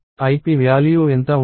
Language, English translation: Telugu, What would be the value of ip